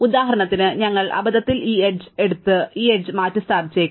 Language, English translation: Malayalam, So, for instance, we might accidentally pick up this edge and replace it with this edge